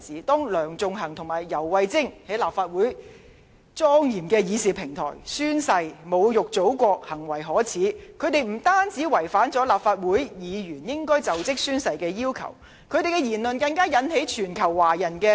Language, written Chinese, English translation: Cantonese, 當梁頌恆和游蕙禎在立法會莊嚴的議事平台上宣誓時侮辱祖國，行為可耻，他們不單違反立法會議員就職宣誓時的要求，而發表的言論更引起全球華人公憤。, Sixtus LEUNG and YAU Wai - ching insulted our Motherland on Legislative Councils solemn policy deliberation platform during oath - taking and conducted themselves shamelessly . They violated the swearing - in requirements on Legislative Council Members; and not only this their remarks even aroused the agony of Chinese people worldwide